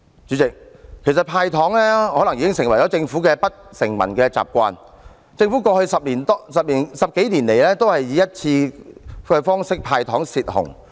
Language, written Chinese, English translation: Cantonese, 主席，"派糖"可能已成為政府的不成文習慣，政府過去十幾年來均以一次過"派糖"方式"泄洪"。, President handing out sweeteners may have become the Governments unwritten established practice . For more than a decade it has taken the one - off approach of handing out sweeteners to drain the floods each year